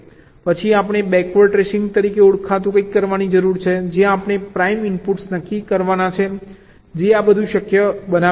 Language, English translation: Gujarati, then we need to do something called a backward tracing, where we have to determine the primary inputs which makes all this things possible